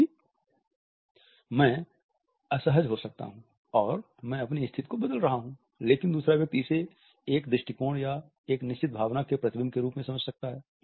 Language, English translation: Hindi, For example, I may be uncomfortable and I am shifting my position, but the other person may understand it as a reflection of an attitude or a certain emotion